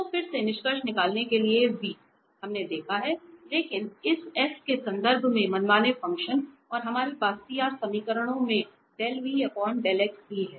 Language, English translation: Hindi, So, just to conclude again the v we have observed now, but in terms of this f the arbitrary function and del v over del x also we have from the CR equations